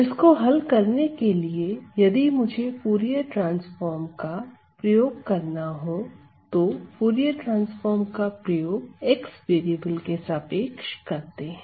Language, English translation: Hindi, So, to solve this, if I were to apply the Fourier transform, so apply Fourier transform with respect to the variable x